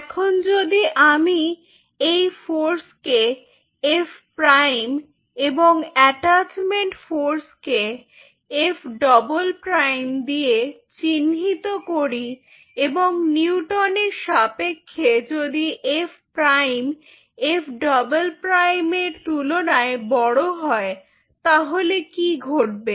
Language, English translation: Bengali, now, if I denote this force with f prime and i denote the attachment force as [noise] f double prime, and if f prime [noise] in terms of the newton, is greater than f double prime, then what will happen